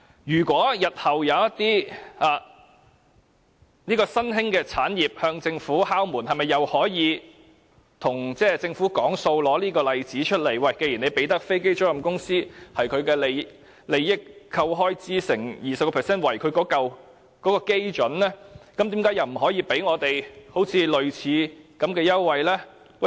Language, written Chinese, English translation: Cantonese, 如果日後有一些新興產業向政府敲門，是否可以以這例子與政府談判，表示政府既然向飛機租賃公司提供優惠，以他們的利益裏扣除開支後，再乘以 20% 為基準，為甚麼不可以提供我們類似的優惠？, If some emerging businesses and industries approach the Government can they use this case as a precedent to bargain with the Government? . Seeing that the Government has offered aircraft leasing business a tax concession of setting the taxable amount at 20 % of the profits after deducting expenses will they say that the Government should provide them with similar concessions?